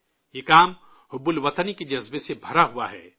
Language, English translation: Urdu, This work is brimming with the sentiment of patriotism